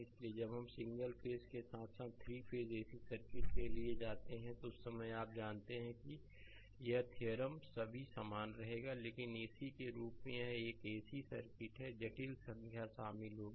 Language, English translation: Hindi, So, while we go for single phase as well as three phase ac circuits, at that time this you know this theorem all will remain same, but as AC a AC circuits complex number will be involved